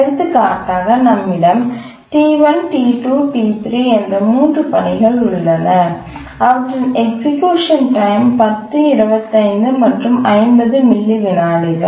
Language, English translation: Tamil, We have a task set of three tasks T1, T2, T3, and their execution times are 10, 25 and 50 milliseconds, periods are 50, 150, and 200